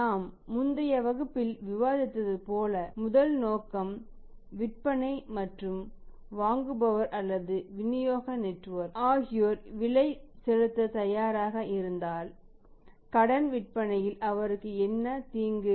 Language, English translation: Tamil, As we discussed in the previous class also that first objective is selling on cash and if people who are the buyers are the parts of the distribution network, if they are ready to pay the increased price so what is the harm